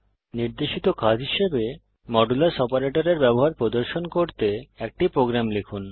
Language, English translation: Bengali, As an assignment: Write a program to demonstrate the use of modulus operator